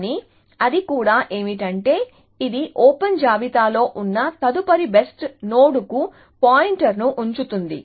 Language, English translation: Telugu, But, what it also does is that, it keeps a pointer to the next best node that is in the open list